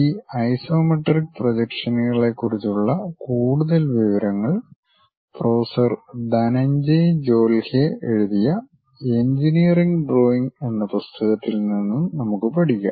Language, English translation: Malayalam, More details of this iso isometric projections, we can learn from the book Engineering Drawing by Professor Dhananjay Jolhe